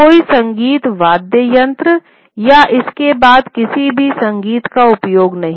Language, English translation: Hindi, There were no musical instruments or use of any music involved along with it